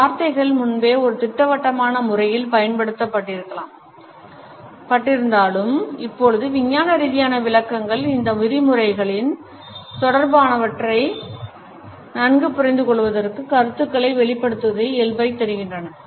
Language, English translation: Tamil, Even though these words were used earlier in a blanket manner, but now the scientific interpretations have enabled us for a better understanding and connotations of these terms